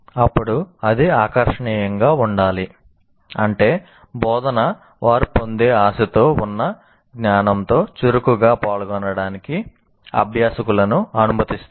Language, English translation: Telugu, That means, instruction should enable learners to actively engage with the knowledge they are expected to acquire